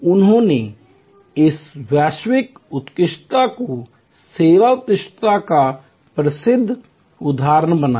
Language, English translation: Hindi, He created this global excellence this world famous example of service excellence